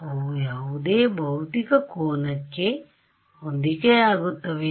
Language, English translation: Kannada, Do they correspond to any physical angle